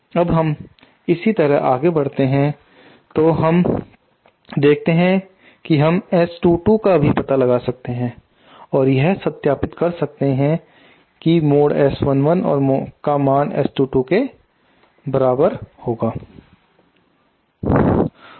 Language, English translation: Hindi, Now see if we proceed similarly we can also find out S 2 2 and we can verify that mod S 1 1 will be equal to S 2 2